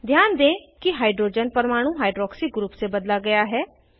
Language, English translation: Hindi, Observe that the hydrogen atom is replaced by hydroxy group